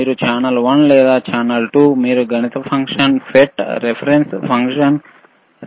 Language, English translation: Telugu, yYou see channel one or channel 2, you can change the mathematic function FFT, reference function, reference A, a reference bB